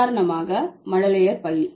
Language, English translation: Tamil, For example, kindergarten